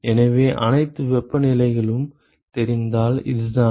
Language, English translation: Tamil, So, this is if all the temperatures are known ok